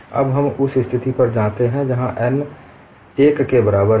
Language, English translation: Hindi, Now we go the situation where n equal to 1